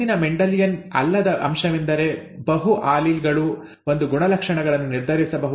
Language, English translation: Kannada, The next non Mendelian aspect is that, multiple alleles can determine a trait